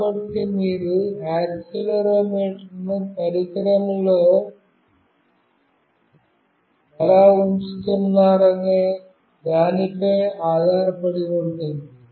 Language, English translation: Telugu, So, it depends on how you are putting the accelerometer in the device also